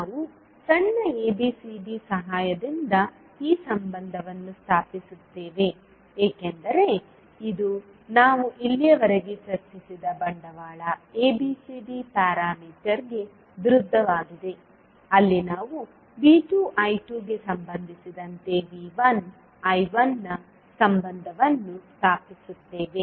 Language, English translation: Kannada, So we stabilise this relationship with the help of small abcd because it is opposite to the capital ABCD parameter which we have discussed till now where we stabilise the relationship of V 1 I 1 with respect to V 2 I 2